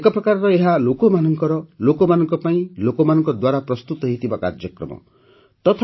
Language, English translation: Odia, In a way, this is a programme prepared by the people, for the people, through the people